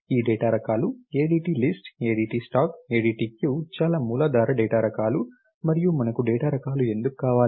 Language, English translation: Telugu, These data types are the ADT list, the ADT stack, the ADT queue very very rudimentary data types, and what is nice why do we want data types